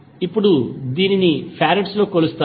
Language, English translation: Telugu, Now, it is measured in farads